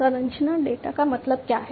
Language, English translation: Hindi, Structure data means what